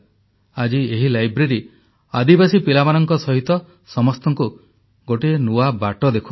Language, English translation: Odia, Today this library is a beacon guiding tribal children on a new path